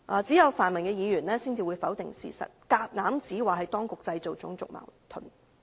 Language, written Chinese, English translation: Cantonese, 只有泛民議員才會否定事實，硬指當局製造種族矛盾。, Only the pan - democratic Members will deny the truth and insist that the authorities have created racial conflicts